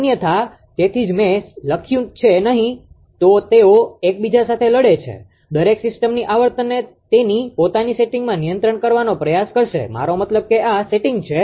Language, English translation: Gujarati, Otherwise that is why I have written otherwise they fight with each other each will try to control system frequency to its own setting I mean this is the setting